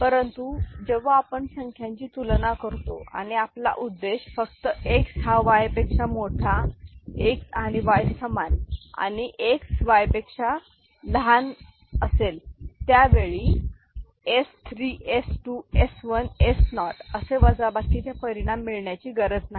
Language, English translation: Marathi, So, but when we look at magnitude comparison and our objective is to generate only X greater than Y, X is equal to Y and X less than Y, we do not actually need the subtraction result that is s 3, s 2, s 1, s naught, ok